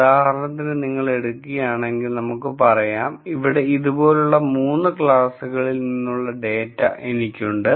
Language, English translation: Malayalam, For example, if you take let us say, I have data from 3 classes like this here